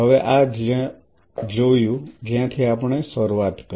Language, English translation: Gujarati, Now having seen this where we started